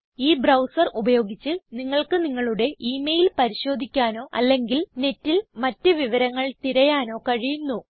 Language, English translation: Malayalam, Using this browser, you can access your emails or search for some information on the net